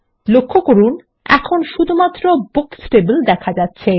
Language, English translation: Bengali, Notice that Books is the only table visible here